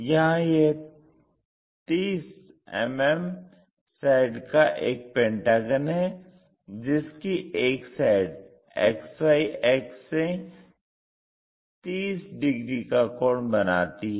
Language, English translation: Hindi, So, there is a regular pentagon of 30 mm sides with one side is 30 degrees inclined to X axis, XY axis